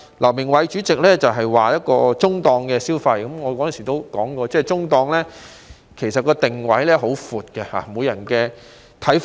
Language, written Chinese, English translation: Cantonese, 劉鳴煒主席之前提到這會是中檔消費，我當時曾說，其實中檔的定位很闊，每個人也有不同的看法。, LAU Ming - wai the Chairman has mentioned earlier that spending will be in the medium end . At that time I said that the range of the medium end is in fact very wide on which everyone has different views